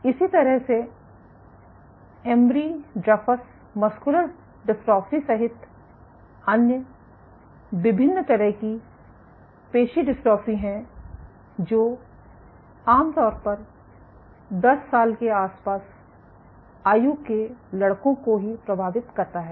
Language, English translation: Hindi, So, there are various other muscular dystrophies including Emery Dreifuss muscular dystrophy, typically again affects boys around 10